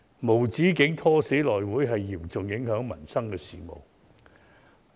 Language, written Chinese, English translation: Cantonese, 無止境"拖死"內務委員會將嚴重影響民生事務。, Their perpetual attempt to drag the House Committee to death will pose serious hindrance to livelihood - related matters